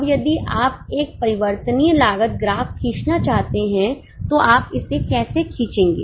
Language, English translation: Hindi, Now, if you want to draw a variable cost graph, how will you draw it